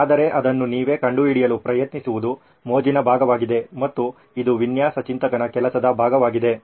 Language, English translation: Kannada, But trying to figure it out yourself is part of the fun and yes it is also part of a job as a design thinker